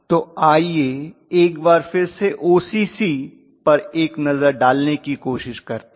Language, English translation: Hindi, So let us try to take a look at OCC once again